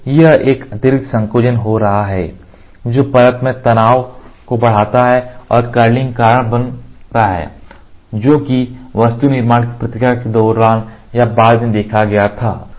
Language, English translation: Hindi, So, there is a extra shrinkage which is happening which increases the stress in the layer and causes curling that was observed either during or after the part fabrication process